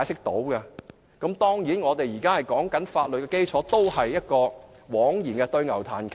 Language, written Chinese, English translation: Cantonese, 當然，我們現在談法律基礎也是枉然，對牛彈琴。, Certainly it will be futile for us to discuss any legal basis now; for it is like playing the lute to a cow